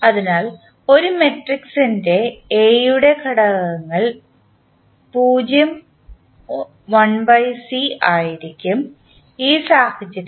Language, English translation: Malayalam, So, the components of A matrix will be 0 and 1 by C, in this case